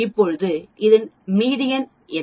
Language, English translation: Tamil, Now what is the median of this